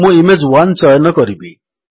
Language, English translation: Odia, So, I will choose Image1